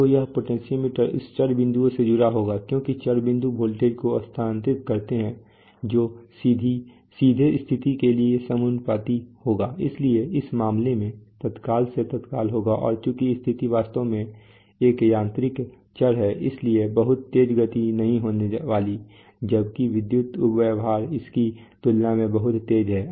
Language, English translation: Hindi, So this potentiometer will be connected to this variable points as the variable point moves the voltage that you will get will be directly proportional to the, to the position right, so in this case there will be instant to instant and since the position is the position is actually a mechanical variable, so therefore there is not going to be too fast movement, so as far as, so the electrical behavior is so fast compared to that